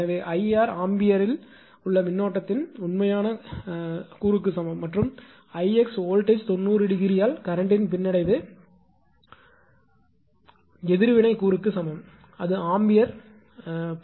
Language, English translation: Tamil, So, I r is equal to real component of current in amperes and I x is equal to the reactive component of current lagging the voltage by 90 degree it is ampere right